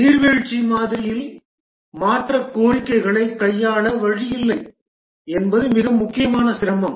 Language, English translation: Tamil, Possibly the most important difficulty is there is no way change requests can be handled in the waterfall model